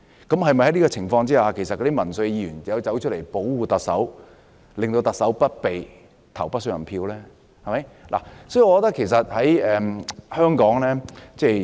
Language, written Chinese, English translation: Cantonese, 在這種情況下，那些民粹議員是否便要出來保護特首，令不信任特首的議案不通過呢？, But some Members may fully support them from the populism angle . In such case do those populist Members have to protect the Chief Executive and prevent the motion of no confidence in the Chief Executive from being passed?